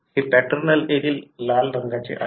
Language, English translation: Marathi, This paternal allele is red colour